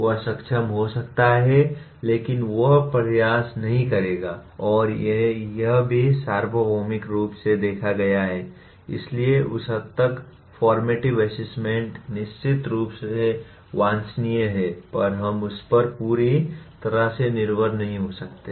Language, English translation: Hindi, He may be capable but he will not put the effort and this also has been observed universally, so, to that extent formative assessment while it is certainly desirable we cannot completely depend on that